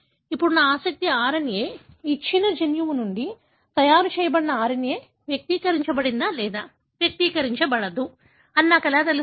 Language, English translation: Telugu, Now, how would I know, whether my RNA of interest, the RNA that is made from a given gene is expressed or not expressed